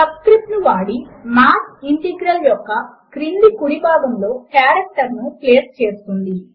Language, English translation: Telugu, Using the subscript, Math places the character to the bottom right of the integral